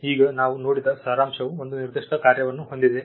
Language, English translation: Kannada, Now, the abstract we had seen has a particular function